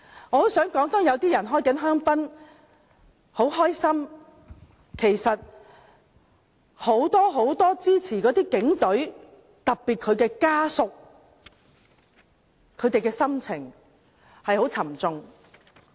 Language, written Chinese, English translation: Cantonese, 我想說，當有些人正在開香檳、很高興的同時，其實很多支持警隊的人，特別是警隊家屬的心情是非常沉重的。, While some may be pleased and drinking champagne many who support the Police Force especially families of the Police are heavy - hearted